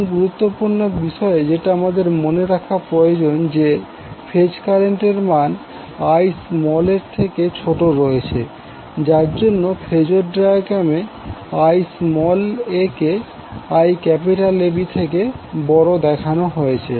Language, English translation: Bengali, Now important thing you need to remember that the phase current is having value smaller than Ia that is why it is represented in the phasor diagram Ia larger than Iab